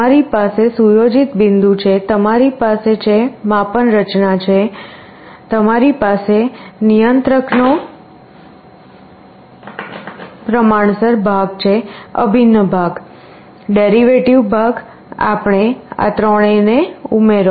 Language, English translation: Gujarati, You have the set point, you have the measuring mechanism, you have a proportional part in the controller, integral part, derivative part, you add all of these three up